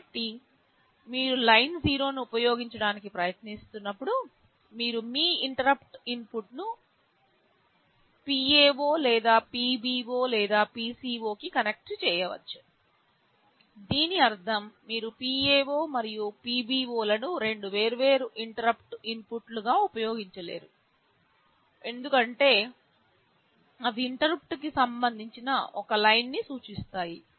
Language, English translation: Telugu, So, whenever when you are trying to use Line0, you can connect your interrupt input to either PA0 or PB0 or PC0; this also means you cannot use PA0 and PB0 as two separate interrupt inputs because they actually mean the same line with respect to interrupt